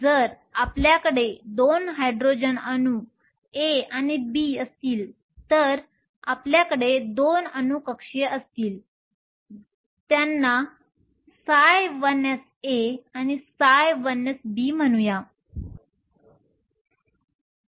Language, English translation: Marathi, If you have 2 Hydrogen atoms A and B you will have 2 atomic orbitals, let us call them psi 1 s A and psi 1 s B